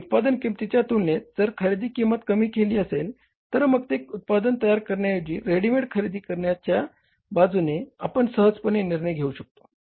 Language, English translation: Marathi, And if the buying price is lesser as compared to the manufacturing price, so we can easily take a decision in favor of buying it ready made from the market rather than manufacturing it